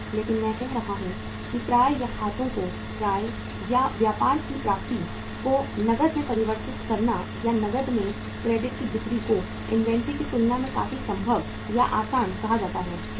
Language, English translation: Hindi, But I have been saying that say converting receivables or accounts receivables or trade receivables into cash or the credit sales into cash is quite possible or easier as compared to inventory, how